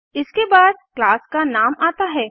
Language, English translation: Hindi, It is followed by the name of the class